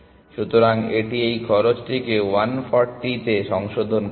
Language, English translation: Bengali, So, this will revise this cost to 140